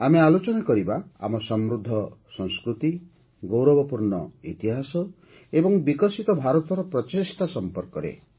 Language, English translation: Odia, We will discuss our rich culture, our glorious history and our efforts towards making a developed India